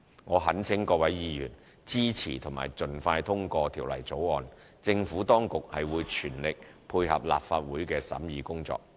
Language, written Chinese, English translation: Cantonese, 我懇請各位議員支持及盡快通過《條例草案》，政府當局會全力配合立法會的審議工作。, I implore Members to support and pass the Bill as soon as practicable . The Administration will give its full cooperation in the scrutiny work of the Legislative Council